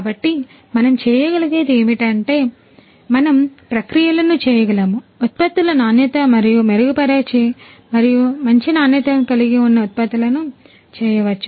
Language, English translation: Telugu, And so what we can do is we can make the processes, the quality of the products in turn much more improve and of better quality